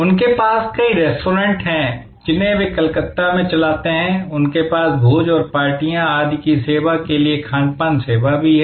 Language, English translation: Hindi, They have number of restaurants, which they run in Calcutta; they also have catering service to serve banquettes and parties and so on